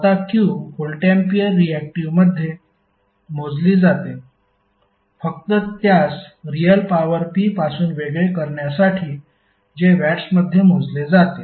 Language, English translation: Marathi, Now Q is measured in voltampere reactive just to distinguish it from real power P which is measured in watts